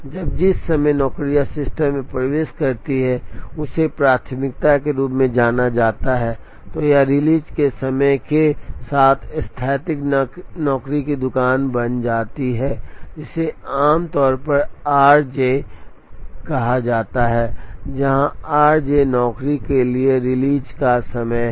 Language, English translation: Hindi, When the time at which the jobs enter the system is known a priori, then it becomes static job shop with release times, which is usually called r j, where r j is the release time for job j